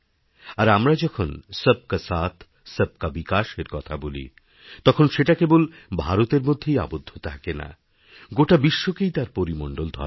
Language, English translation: Bengali, And when we say Sabka Saath, Sabka Vikas, it is not limited to the confines of India